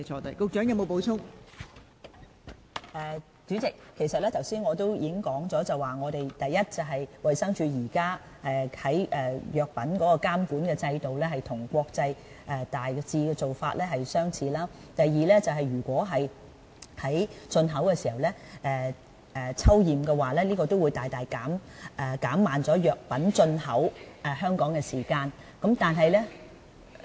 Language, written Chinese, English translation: Cantonese, 代理主席，我剛才已經指出了，第一，衞生署的藥品監管制度與國際現時的做法大致相似。第二，如果在進口的時候抽驗，將會大大減慢藥品進口香港的時間。, Deputy President as I have already highlighted earlier first DHs drug supervision system is more or less in line with international practices and second sampling checks at import level will greatly slow down the import of pharmaceutical products into Hong Kong